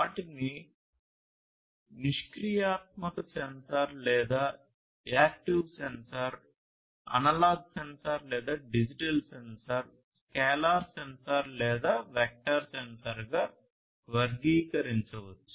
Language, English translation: Telugu, They could be classified as either passive sensor or active sensor, analog sensor or digital sensor, scalar sensor or vector sensor